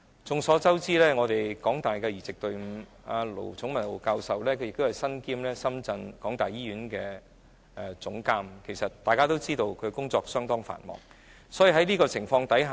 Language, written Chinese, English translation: Cantonese, 眾所周知，在香港大學的移植隊伍，盧寵茂教授身兼香港大學深圳醫院的總監，大家也知道他的工作相當繁忙。, As we all know in regard to the transplant team of HKU Prof LO Chung - mau is also the Hospital Chief Executive at the University of Hong Kong - Shenzhen Hospital and he is known to be very busy